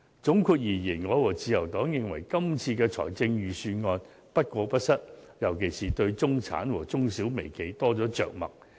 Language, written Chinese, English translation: Cantonese, 總括而言，我和自由黨認為今次的預算案不過不失，尤其是對中產和中、小、微企多了着墨。, In conclusion along with the Liberal Party I think the Budget this year is neither too good nor too bad especially because it gives more treatment to the middle class SMEs and the micro - enterprises